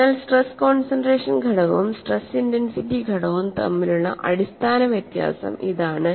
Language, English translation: Malayalam, So, this brings out what is the essential difference between stress concentration factor and stress intensity factor